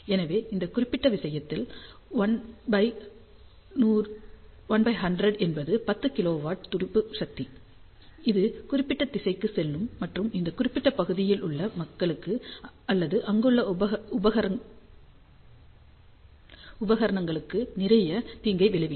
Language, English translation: Tamil, So, in that particular case, 1 by 100th will be 10 kilowatt of pulse power going in this particular direction and that may create lot of harm to the people or to the equipment in that particular region